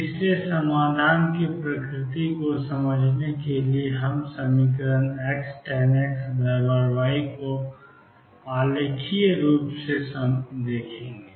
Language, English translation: Hindi, So, to understand the nature of solution we will look at the equation x tangent of x equals y graphically